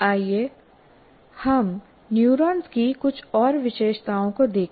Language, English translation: Hindi, Now let us look at a few more features of neurons